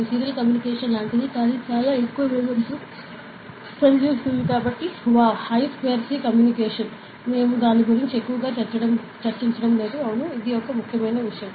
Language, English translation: Telugu, So, it is like a serial communication only; but with very high speed, so it is an I square C communication, we would not be going too much into it ok; and yeah, so this is the main thing, cool